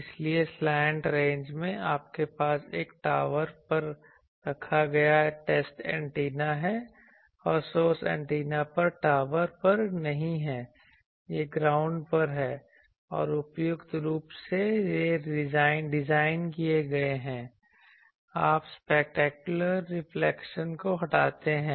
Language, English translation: Hindi, So, in slant ranges, you have the test antenna is put on a tower and source antenna is not on a tower it is on the ground it is put and by suitably designed also you remove the specular reflections